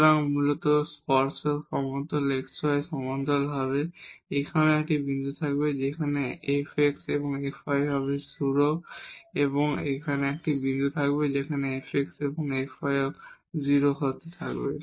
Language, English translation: Bengali, So, basically the tangent plane will be parallel to the xy plane, here also there will be a point where f x and f y will be 0 and there will be a point here as well where f x and f y will be 0